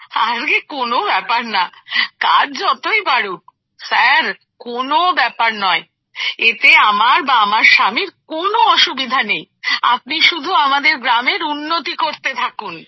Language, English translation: Bengali, It doesn't matter, no matter how much work increases sir, my husband has no problem with that…do go on developing our village